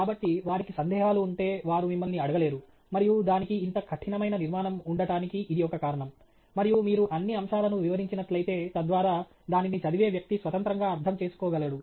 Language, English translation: Telugu, So, if they have doubts they cannot just like that ask you, and that’s part of the reason why it has such a rigid structure to it, and so that you sort of cover all the aspects so that person reading it can independently read it